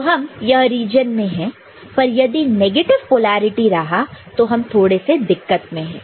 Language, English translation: Hindi, This we are in this region, but if it is negative polarity